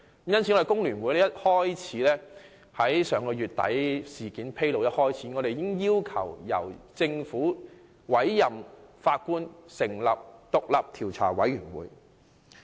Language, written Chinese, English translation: Cantonese, 香港工會聯合會在上月底事件披露之初，已經要求政府委任法官，以成立獨立調查委員會。, Soon after the incident came to light at the end of last month The Hong Kong Federation of Trade Unions urged the Government to appoint a judge so as to set up an independent commission of inquiry